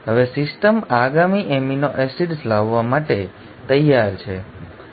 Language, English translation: Gujarati, Now, the system is ready to bring in the next amino acids